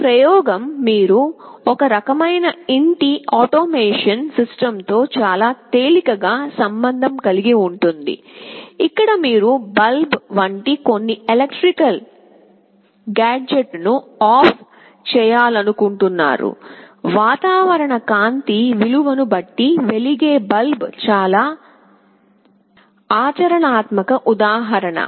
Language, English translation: Telugu, This experiment you can very easily correlate with some kind of home automation system, where you want to switch OFF some electrical gadget like bulb, bulb is a very practical example depending on the value of the ambience light